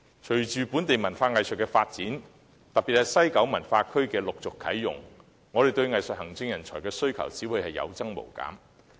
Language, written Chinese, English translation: Cantonese, 隨着本地文化藝術的發展，特別是西九文化區陸續啟用，我們對藝術行政人才的需求只會有增無減。, With the development of local arts and culture and the gradual opening up of the WKCD our demand for arts administrators will only be on the rise